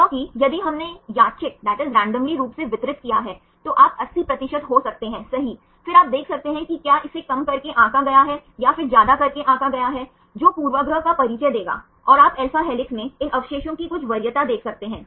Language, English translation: Hindi, Because if we randomly distributed you can get 80 percent right, then you can see whether it is underestimated or overestimated then that will introduce a bias, and you can see some preference of these residues in alpha helix